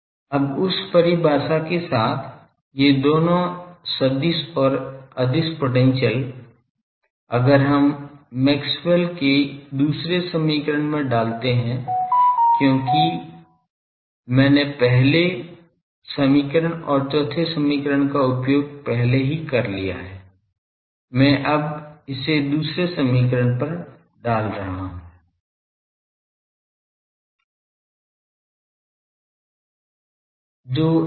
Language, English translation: Hindi, Now, with that definition both these vector and scalar potential; if we put to Maxwell second equation because I have already used first equation and fourth equation; I am now putting it to the second equation